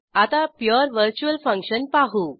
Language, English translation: Marathi, Let us see pure virtual function